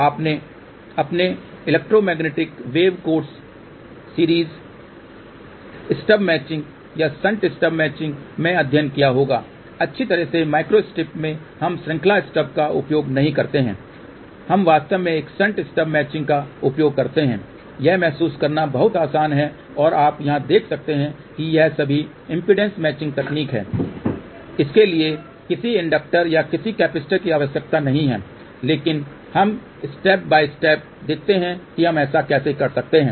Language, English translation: Hindi, You might have studied in your electromagnetic wave course series stub matching or shunt stub matching, well in micro step we do not use series step we actually use a shunt stub matching also it is much easier to realize you can see here this is all the impedance matching technique is it does not require any inductor or any capacitor, but let us see step by step how we can do that